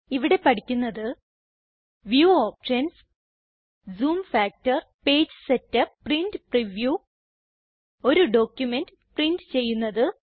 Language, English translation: Malayalam, In this tutorial we have learnt about View options Zoom factor Page setup Print Preview Print a document and Export an image